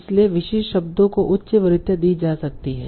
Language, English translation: Hindi, So, specific terms might be given a high preference